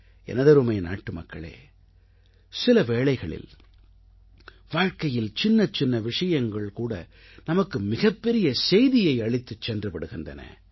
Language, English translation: Tamil, My dear countrymen, there are times when mundane things in life enrich us with a great message